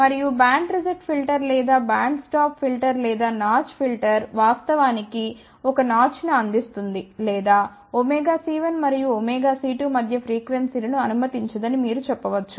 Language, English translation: Telugu, And a band reject filter or band stop filter or notch filter will actually provide of notch or you can say it will reject the frequencies between omega c 1 and omega c 2